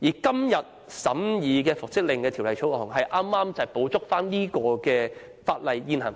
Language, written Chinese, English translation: Cantonese, 今天所審議有關復職令的《條例草案》，正好補足現行法例。, The Bill under scrutiny today concerns reinstatement orders and can make up for the inadequacies of the current legislation